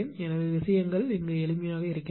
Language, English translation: Tamil, So, things are simple